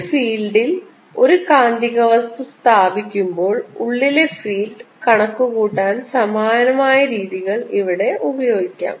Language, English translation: Malayalam, similar techniques can be used here to calculate the field inside when a magnetic material is put in a field